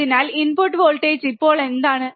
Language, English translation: Malayalam, So, what is the input voltage now